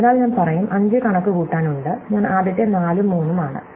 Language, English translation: Malayalam, So, I would say that, there is in order to compute 5, I must have first computed 4 and 3